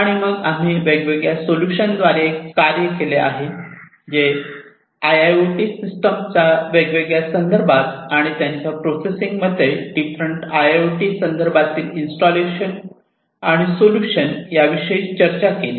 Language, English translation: Marathi, And then we worked through different solutions, that are talking about installations in different IIoT contexts installations of IIoT systems, in different contexts and their processing